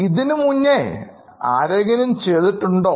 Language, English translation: Malayalam, Has anybody done work like this before